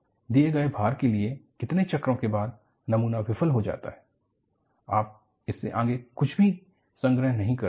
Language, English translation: Hindi, For a given loading, after how many cycles, the specimen fails; you do not record anything beyond this